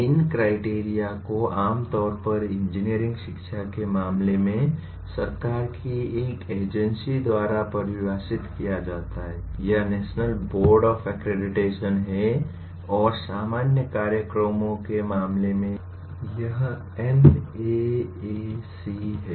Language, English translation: Hindi, These criteria are generally defined by an agency of the government in case of engineering education, it is National Board of Accreditation and in case of general programs it is NAAC